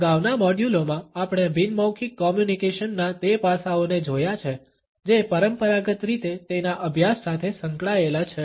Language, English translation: Gujarati, In the previous modules, we have looked at those aspects of nonverbal communication which have been traditionally associated with its studies